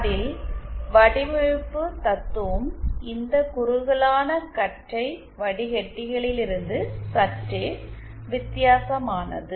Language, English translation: Tamil, There the design philosophy is somewhat different from these narrowband filters